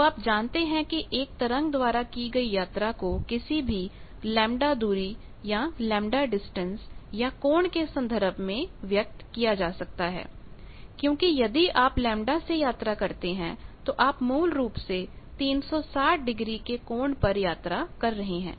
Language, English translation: Hindi, So, you know that any distance travelled by a wave that can be expressed either as a distance in terms of lambda or in terms of angle, because if you travel by lambda then you are basically travelling an angle of 360 degree the angle equivalent of that